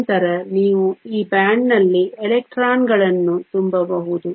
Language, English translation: Kannada, Then you can fill in the electrons in this band